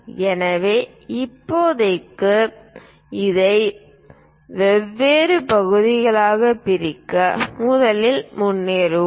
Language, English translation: Tamil, So, as of now we will go ahead first divide this into different parts